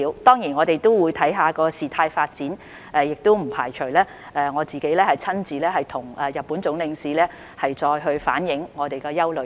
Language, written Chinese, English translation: Cantonese, 當然，我們也會視乎事態發展，我不排除會親自向日本駐港總領事反映我們的憂慮。, Of course depending on the development of the situation I do not rule out meeting the Consul - General of Japan in person to relay our concerns